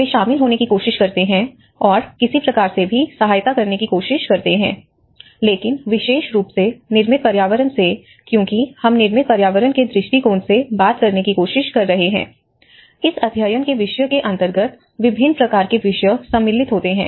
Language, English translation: Hindi, They try to get involved and try to contribute to some sort of assistance but then especially from the built environment because we are trying to talk from the built environment perspective, there are various disciplines comes within that bigger umbrella